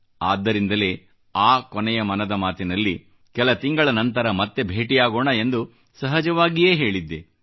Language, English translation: Kannada, And that is why in the last episode of 'Mann Ki Baat', then, I effortlessly said that I would be back after a few months